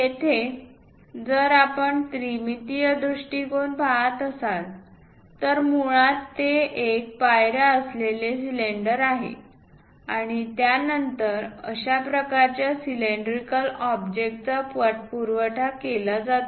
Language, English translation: Marathi, Here, if we are looking at that 3 dimensional perspective, basically it is a cylinder having steps and that is again followed by such kind of cylindrical object